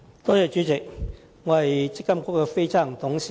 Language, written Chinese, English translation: Cantonese, 代理主席，我是積金局的非執行董事。, Deputy President I am a non - executive director of MPFA